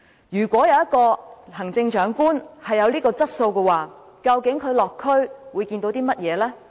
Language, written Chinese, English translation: Cantonese, 如果一位行政長官有這樣的質素，究竟他落區會看到甚麼呢？, If a Chief Executive possesses these qualities what will he or she actually see when visiting the districts?